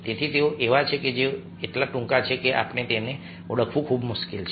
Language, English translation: Gujarati, they are so short that is very difficult to identify them